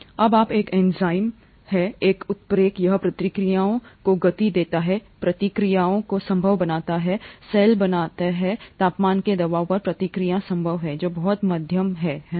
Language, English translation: Hindi, When you have an enzyme a catalyst, it speeds up the reactions, makes reactions possible, make cell reactions possible at the temperature pressure of the cell, which is very moderate, right